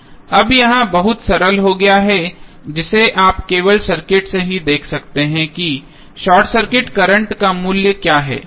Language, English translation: Hindi, Now, it has become very simple which you can see simply from the circuit itself that what would be the value of short circuit current